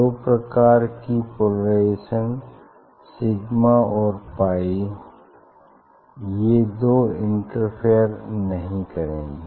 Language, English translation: Hindi, Sigma polarisation pi polarisation, so these two will not interfere